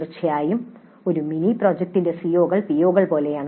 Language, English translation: Malayalam, Of course, CEOs of a mini project tend to be more like POs